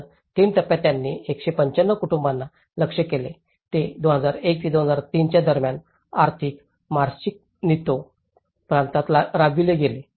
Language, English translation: Marathi, So, the 3 stages, they targeted 195 families, which is implemented in Mariscal Nieto Province between about 2001 and 2003